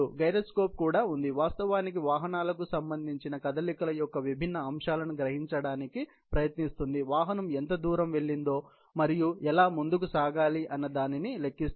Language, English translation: Telugu, There is also gyroscope, which actually, tries to sense the different aspects of motions, related to the vehicle on which, one can calculate how much distance the vehicle has gone and how it needs to go so on and so forth